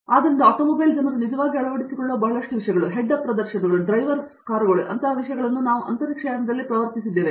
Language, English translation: Kannada, So, likewise lot of things that the automobile people actually adopt like, even things like head up displays or the driverless cars that we are talking about have been pioneered in aerospace